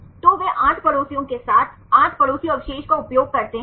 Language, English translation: Hindi, So, they use 8 neighbors with 8 neighbors